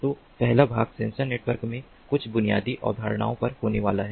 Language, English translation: Hindi, so the first part is going to be on some of the basic concepts in sensor networks